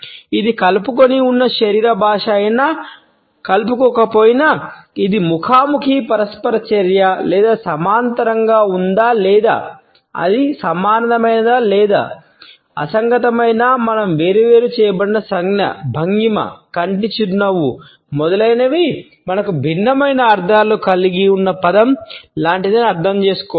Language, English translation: Telugu, Whether it is an inclusive body language or non inclusive; whether it is a face to face interaction or parallel or whether it is congruent or incongruent, we have to understand that an isolated gesture, posture, eye smile etcetera is like a word which we have different meanings